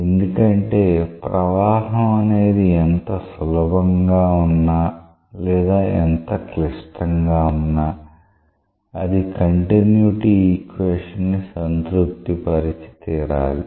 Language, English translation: Telugu, Because no matter how complex or how simple the flow is it should satisfy the continuity equation